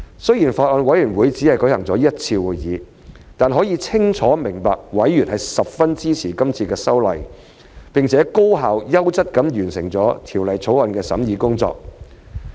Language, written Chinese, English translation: Cantonese, 雖然法案委員會只舉行過一次會議，但可以清楚明白委員十分支持今次修例，並且高效優質地完成了《條例草案》的審議工作。, Despite the fact that the Bills Committee has held only one meeting it is crystal clear that members are very supportive of this amendment exercise and we have completed the scrutiny of the Bill efficiently and done a high - quality job